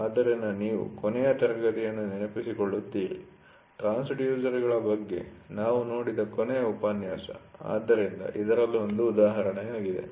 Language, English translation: Kannada, So, you remember last class, we last lecture we saw about the transducers, so in this is one of the examples for it